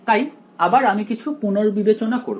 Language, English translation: Bengali, So again we will do a little bit of revision